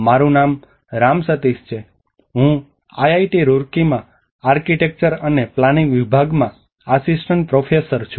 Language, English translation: Gujarati, My name is Ram Sateesh, I am Assistant professor, Department of Architecture and planning, IIT Roorkee